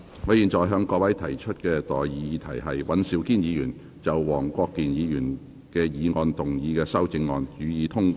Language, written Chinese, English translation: Cantonese, 我現在向各位提出的待議議題是：尹兆堅議員就黃國健議員議案動議的修正案，予以通過。, I now propose the question to you and that is That the amendment moved by Mr Andrew WAN to Mr WONG Kwok - kins motion be passed